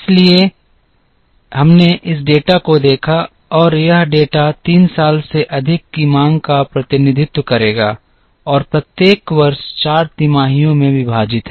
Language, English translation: Hindi, So, we looked at this data and this data would represent the demand over 3 years and each year is divided into 4 quarters